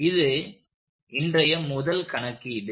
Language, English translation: Tamil, So, here is our first one for today